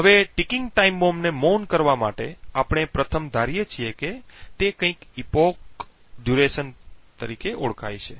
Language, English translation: Gujarati, Now in order to silence ticking time bomb what we first assume is something known as an epoch duration